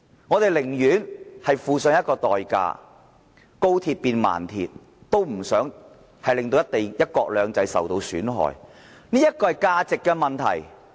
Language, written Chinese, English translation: Cantonese, 我們寧願付上代價，高鐵變慢鐵，也不想令"一國兩制"受到損害，這是價值問題。, We would rather pay the price of turning the high speed rail into a low speed rail than undermining the principle of one country two systems . This is a matter of values